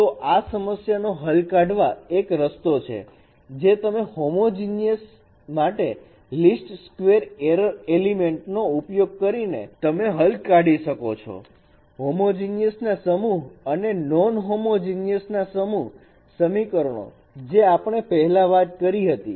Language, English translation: Gujarati, So this is one way of solving this problem that you can solve using LISCUR error estimate for homogeneous set of homogeneous equations or set of non homogeneous equations as we have discussed earlier